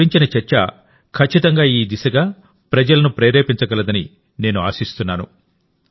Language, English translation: Telugu, I hope that the discussion about them will definitely inspire people in this direction